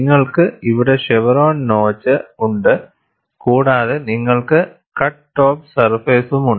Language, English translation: Malayalam, You have the chevron notch here and you also have the cut top surface